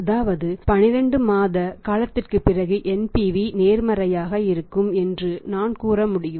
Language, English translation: Tamil, It means he cannot sell for a period of 12 months on credit because at this period NPV becomes negative